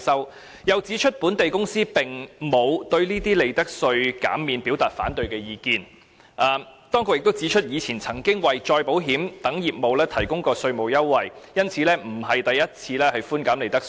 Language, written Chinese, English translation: Cantonese, 當局又指出，本地公司並沒有就寬減利得稅表達反對意見，而且過往亦曾為再保險等業務提供稅務優惠，所以這次並非首次寬減利得稅。, The authorities also pointed out that local companies have not expressed opposition to giving profits tax concessions and tax concessions had been provided to reinsurance business in the past thus the present proposal to give profits tax concessions is not unprecedented